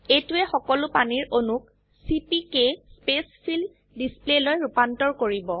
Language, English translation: Assamese, This will convert all the water molecules to CPK Spacefill display